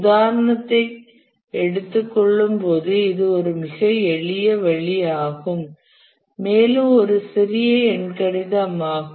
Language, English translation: Tamil, When we take the example we'll see that it's a very simple step, just a small arithmetic